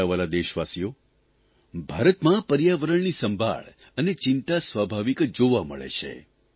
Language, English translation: Gujarati, My dear countrymen, the concern and care for the environment in India seems natural